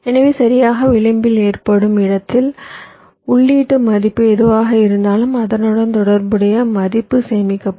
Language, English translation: Tamil, so exactly at the point where the edge occurs, whatever is the input value, that will be taken and the corresponding value will get stored